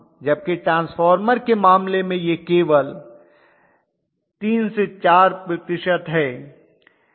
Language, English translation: Hindi, Whereas in the case of in transformer it is only 3 4 percent, right